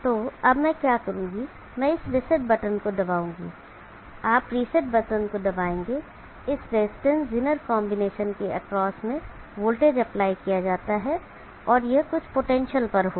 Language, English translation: Hindi, So what I will do, I will press this reset button, you press the reset button, there is voltage apply across this resistance is in a combination and this will be at some potential